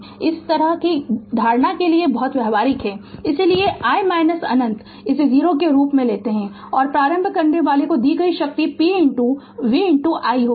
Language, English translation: Hindi, So, it is very practical of this kind of assumption, so i minus infinity we take it as a 0 right and the power delivered to the inductor will be p is equal to v into I right